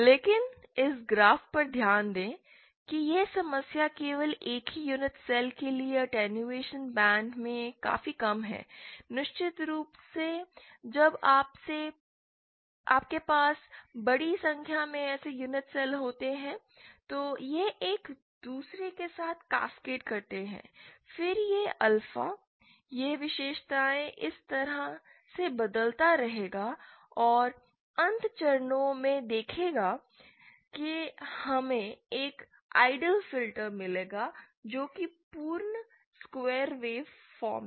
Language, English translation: Hindi, But, note from this graph itself the problem is, for a single unit cell the attenuation is quite low in the stop band, of course when you have large number of such unit cells then it cascades with each other, then this alpha, this characteristics will go on changing like this and see for a infinite number of stages we will get an ideal filter which is perfect square wave form